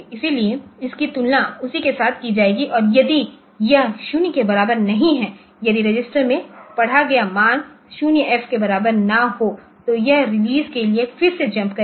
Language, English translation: Hindi, So, it will be comparing with that and if it is not equal if it is if it is not equal to 0 then it will be if it the value that I have read in the a register is not equal to say 0 FH then it will be jumping back to again the release